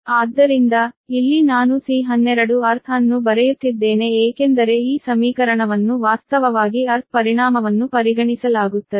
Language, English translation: Kannada, when i am writing c one two earth, because this equation actually, while effect of the earth is considered